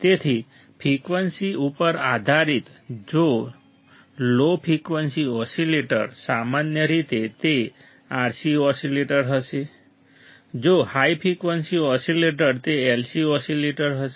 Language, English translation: Gujarati, So, based on frequency if the low frequency oscillator generally it will be RC oscillators if the high frequency oscillators it would be LC oscillators